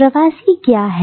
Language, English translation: Hindi, So, what is diaspora